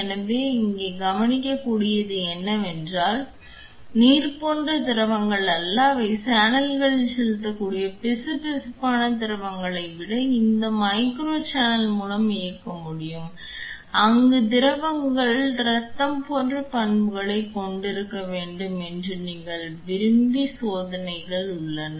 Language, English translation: Tamil, So, here what you can observe is it is not just fluids like water which can be driven into the channels even viscous fluids can also be driven through these micro channel there are experiments where you want to have fluids flow have properties like blood